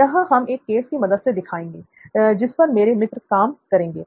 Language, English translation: Hindi, So we are going to demonstrate that with a case that my buddies here are going to work on